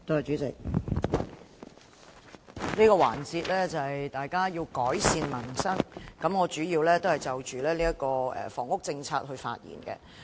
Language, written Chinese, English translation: Cantonese, 主席，這個環節討論的是"改善民生"，我主要就房屋政策發言。, President the topic of discussion in this session is Improving Peoples Livelihood . I will mainly speak on the housing policy